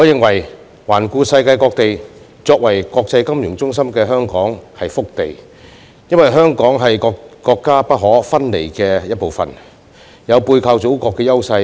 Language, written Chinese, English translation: Cantonese, 環顧世界各地，我認為作為國際金融中心的香港是塊福地，因為我們是國家不可分離的一部分，有背靠祖國的優勢。, Looking around the world I think that Hong Kong as an international financial centre is a piece of blessed land . We are an inseparable part of the country and have the advantage of having the Motherland as our hinterland